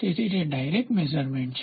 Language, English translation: Gujarati, So, that is the direct measurement